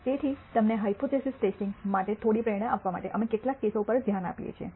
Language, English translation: Gujarati, So, to give you some motivation for hypothesis testing we look at some cases